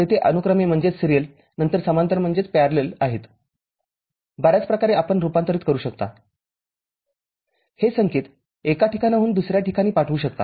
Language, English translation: Marathi, There are serial then parallel, many way you can convert, transmit this signal from one place to another